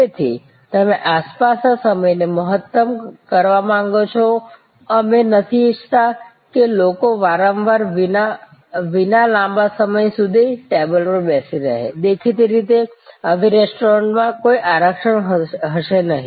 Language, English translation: Gujarati, So, you want to maximize the turnaround time, we do not want people to sit at a table for long time without consumption; obviously, in such restaurants, there will be no reservation